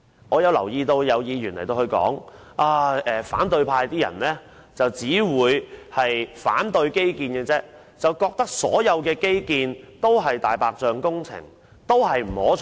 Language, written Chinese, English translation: Cantonese, 我留意到有議員說反對派只懂反對基建，覺得所有基建均屬"大白象"工程，並不可取。, I notice that according to some Members people of the opposition camp know nothing but to oppose the implementation of infrastructure development and they consider all infrastructure works undesirable white elephant projects